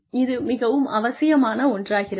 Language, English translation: Tamil, This is absolutely essential